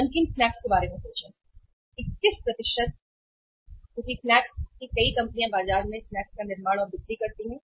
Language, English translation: Hindi, Think about the salted snacks, 21% because snacks many companies manufacture and and sell the snacks in the market